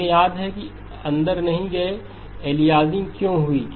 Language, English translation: Hindi, We remember not gone into why aliasing has occurred